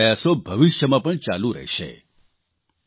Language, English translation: Gujarati, The efforts of the Government shall also continue in future